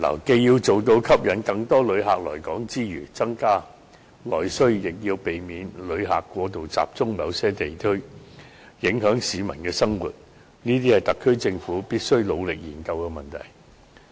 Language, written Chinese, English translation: Cantonese, 既要做到吸引更多旅客來港，以增加內需，亦要避免旅客過度集中於某些區域，影響市民生活，這將是特區政府必須努力研究的問題。, The SAR Government must work hard to attract more tourists to Hong Kong and stimulate internal demand on the one hand and prevent tourists from concentrating in certain districts and thus disrupting the lives of the local residents on the other